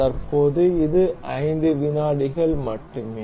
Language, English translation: Tamil, Currently, it is only 5 seconds